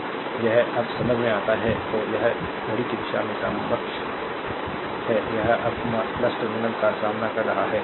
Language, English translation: Hindi, So, it is understand able now so, it is able move clock wise, it is encountering plus terminal now